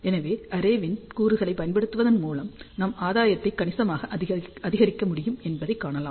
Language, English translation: Tamil, So, you can see that by using arrays of the elements, we can increase the gain significantly